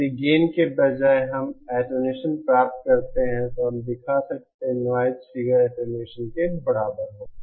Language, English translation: Hindi, If instead of gain, we get attenuation then we can show that the noise figure will be equal to the attenuation